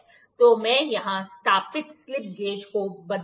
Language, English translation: Hindi, So, let me change the slip gauge set up here